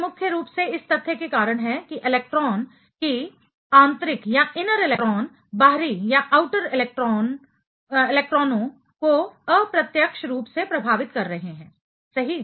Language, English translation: Hindi, That is mainly due to the fact that the electrons, that the inner electrons are affecting the outer electrons indirectly right